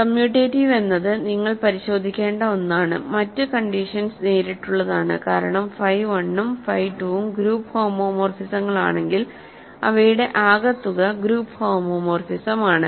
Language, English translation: Malayalam, So, commutative is something you have to check, the other condition are fairly straight forward because if phi 1 and phi 2 are group homomorphisms, their sum is group homomorphism